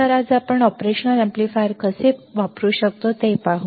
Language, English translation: Marathi, So, today let us see how we can use the operational amplifier